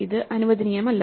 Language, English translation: Malayalam, This is not allowed